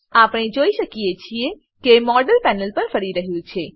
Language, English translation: Gujarati, We can see that the model is spinning on the panel